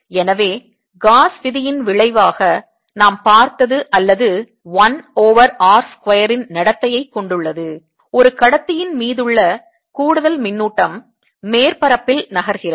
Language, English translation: Tamil, so what we have seen as a consequence of gauss's lawor as a one over r square behavior, the charge, any extra charge on a conductor move to the surface